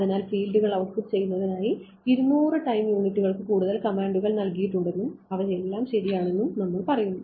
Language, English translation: Malayalam, So, you say 200 time units some more commands are given to output the fields and all of those things ok